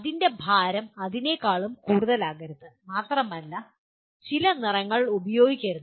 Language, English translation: Malayalam, Its weight should not be more than that and possibly it should not use some colors